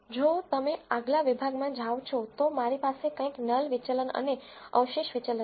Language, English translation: Gujarati, If you go to next section I have something called null deviance and residual deviance